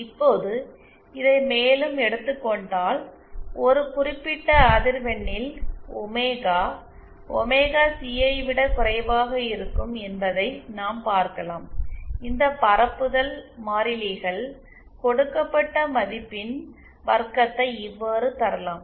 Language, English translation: Tamil, Now taking this further, what we see is at for a certain frequency where omega is lesser than omega C, this propagation constants, this magnitude square is given by